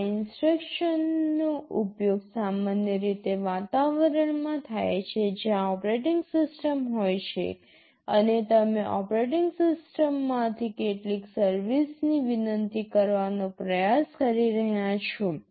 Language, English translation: Gujarati, These instructions are typically used in environments where there is an operating system and you are trying to request some service from the operating system